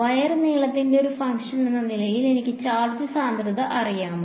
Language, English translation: Malayalam, As a function of the length along the wire do I know the charge density